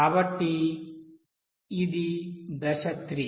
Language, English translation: Telugu, Then So this step 3